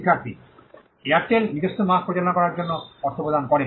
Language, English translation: Bengali, Student: The Airtel pay for the review of the own mark